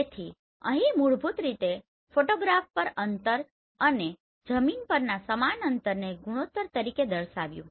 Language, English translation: Gujarati, So here basically ratio of the distance on a photograph to the same distance on the ground and expressed as a ratio right